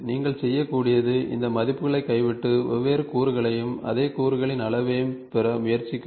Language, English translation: Tamil, So, all you can do is just drop in these values and try to get different different shapes and size of this same component